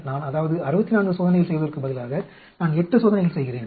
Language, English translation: Tamil, Instead of doing 32 experiments, I want do only 8 experiments